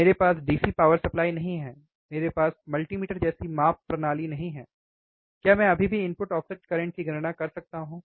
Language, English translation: Hindi, I do not have the DC power supply, I I do not have the measurement systems like multimeter, can I still calculate the input offset current